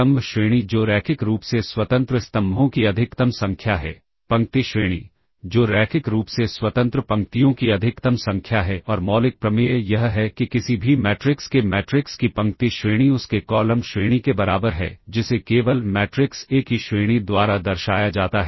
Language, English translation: Hindi, So, the rank all right, So, we have this notion of column rank which is the maximum number of linearly independent columns, the row rank; which is the maximum number of linearly independent rows and the fundamental theorem is that the row rank of the matrix of any matrix is equals is equal to its columns rank which is simply denoted by the rank of the matrix A